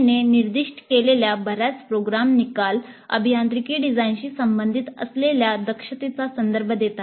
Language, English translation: Marathi, Several program outcomes specified by NBA refer to competencies that are related directly to engineering design